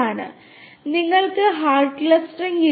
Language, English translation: Malayalam, So, you do not have hard clustering